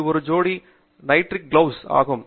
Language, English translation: Tamil, This is also a pair of nitrile gloves, which are there